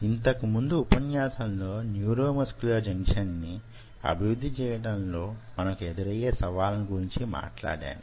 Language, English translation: Telugu, so in the last lecture i talked to you about the challenges of developing a neuromuscular junction